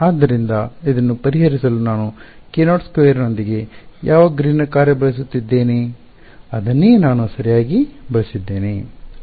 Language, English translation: Kannada, So, to solve this I use which Green’s function the one with k naught squared, that is what I had used right